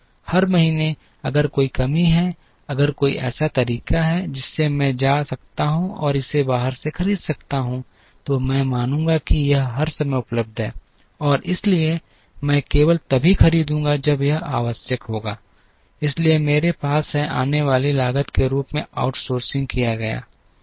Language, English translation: Hindi, Every month, if there is a shortfall, if there is a way by which I can go and buy it from outside, I will assume that this is available all the time and therefore, I will buy only when it is required, so I have outsourced as a cost that comes